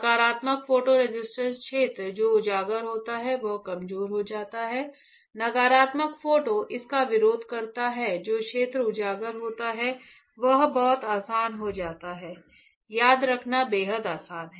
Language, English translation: Hindi, Positive photo resist area which is exposed becomes weaker, negative photo resist it area which is exposed become stronger right very easy; extremely easy to remember alright